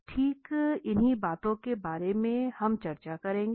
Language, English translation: Hindi, Exactly we will discuss about these things